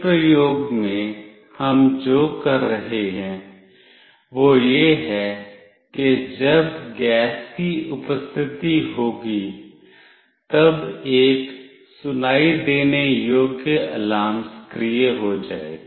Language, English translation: Hindi, In this experiment what we will be doing is that when there is presence of gas, then an audible alarm will be activated